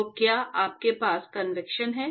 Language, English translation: Hindi, So, do you have Convection